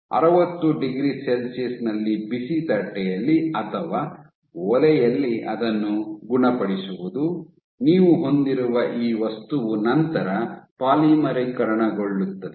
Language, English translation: Kannada, So, curing it on a hot plate or an oven at 60 degree Celsius, what you will have is this material will then polymerize